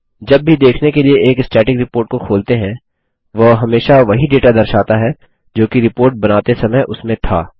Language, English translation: Hindi, Whenever a Static report is opened for viewing, it will always display the same data which was there at the time the report was created